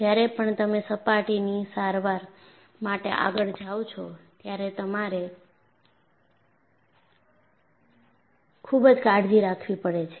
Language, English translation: Gujarati, And whenever you go for a surface treatment, you will have to be very careful